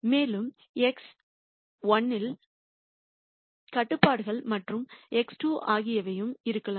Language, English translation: Tamil, And you could have constraints also on x constraints on X 1 and X 2 could also be there